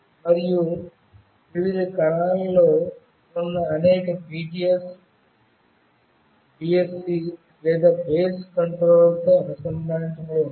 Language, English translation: Telugu, And a number of BTS, which are in different cells, are connected with BSC or Base Station Controller